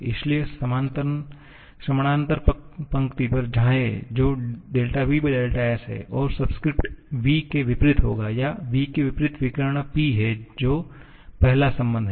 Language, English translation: Hindi, So, go to the parallel row which is dou v dou s and the subscript will be the one opposite to v or the diagonal opposite to v which is P which is the first relation